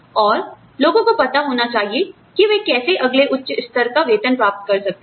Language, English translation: Hindi, And, people should know, how they can get, the next higher level of pay